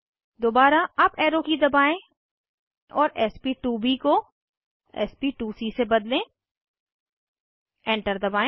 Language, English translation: Hindi, Again, press up arrow key and change sp2b to sp2c, press Enter